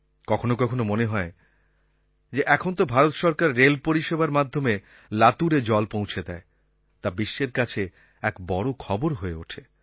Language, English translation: Bengali, When the government used railways to transport water to Latur, it became news for the world